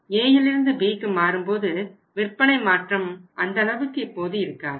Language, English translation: Tamil, Then A to B the change in the sales is now not that much